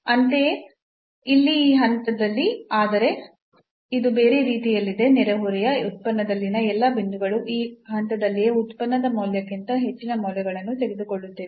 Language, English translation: Kannada, Similarly, at this point here, but this is other way around that all the points in the neighborhood function is taking more values than this point itself then the value of the function at this point itself